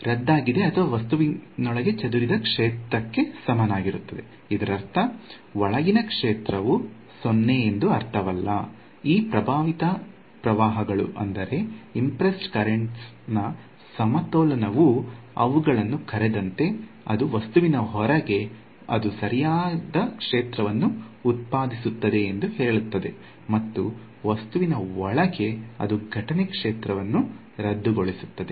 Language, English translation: Kannada, Cancelled or equal to the scattered field inside the object that does not mean that the field inside is 0, it just tells you that this balance of these impressed currents as they called is such that outside the object it produces the correct field; inside the object it cancels the incident field